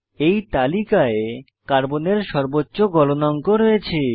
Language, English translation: Bengali, In this chart, Carbon has highest melting point